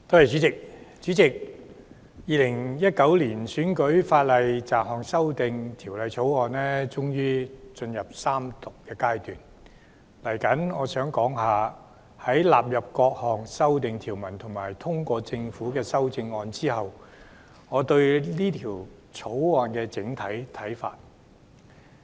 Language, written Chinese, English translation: Cantonese, 主席，《2019年選舉法例條例草案》終於進入三讀階段，接下來我想談談在納入各項修訂條文及通過政府的修正案後，我對《條例草案》的整體看法。, President the Electoral Legislation Bill 2019 the Bill has finally come to the stage of Third Reading . In the following I would like to talk about my overall views on the Bill after the various clauses are incorporated into it and the amendment proposed by the Government is passed